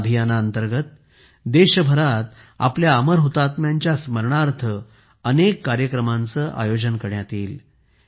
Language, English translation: Marathi, Under this, many programs will be organized across the country in the memory of our immortal martyrs